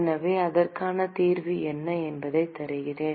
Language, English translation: Tamil, So, I will give you what the solution is